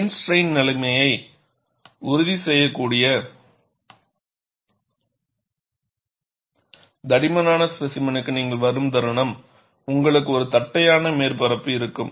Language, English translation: Tamil, The moment you come to a thick specimen, where you could ensure plane strain situation, you will have a flat surface